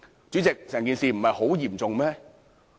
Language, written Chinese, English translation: Cantonese, 主席，整件事不嚴重嗎？, President is the issue not serious?